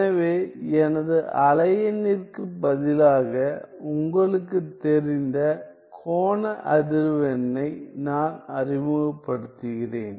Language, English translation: Tamil, So, I am introducing, you know angular frequency instead of my wave number